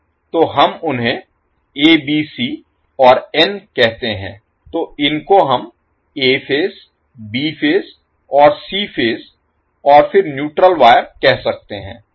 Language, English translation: Hindi, So, we say them ABC and n, so, the these we can say as A phase, B phase and C phase and then the neutral wire